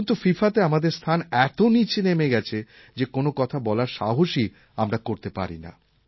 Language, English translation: Bengali, Today our ranking in FIFA is so low that I feel reluctant even to mention it